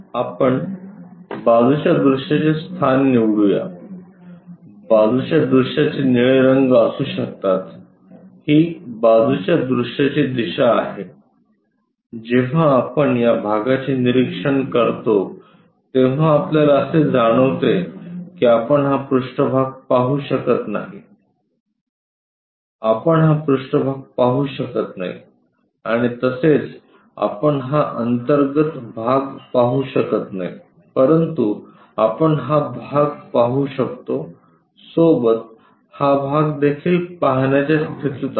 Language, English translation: Marathi, Let us pick the side view location the side view may be blue color this is the side view direction, when we are observing this portion we will be in a position to sense that, we can not see this surface, we can not see this surface and also we can not see internal part, but we can see this portion along with that also we will be in a position to see, this one also we will be in a portion to see